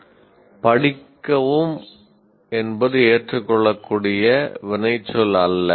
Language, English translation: Tamil, So, study is not an acceptable action verb